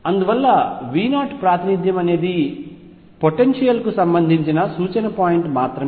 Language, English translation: Telugu, And therefore, what V 0 represents is just a reference point for the potential